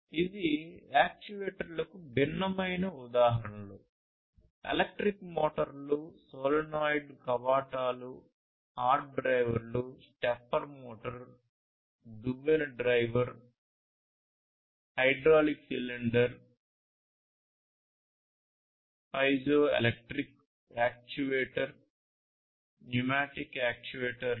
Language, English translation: Telugu, These are different, different examples electric motors, solenoid valves, hard drives, stepper motor, comb drive, then you have hydraulic cylinder, piezoelectric actuator, pneumatic actuators, these are different, different types of actuators